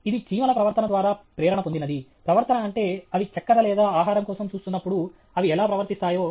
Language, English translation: Telugu, It is inspired by foraging behavior of ants; foraging behavior means how they behave when they look for sugar or food